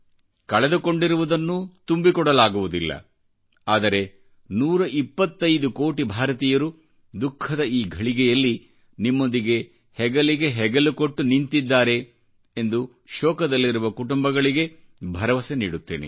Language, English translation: Kannada, Loss of lives cannot be compensated, but I assure the griefstricken families that in this moment of suffering& misery, a hundred & twenty five crore Indians stand by them, shoulder to shoulder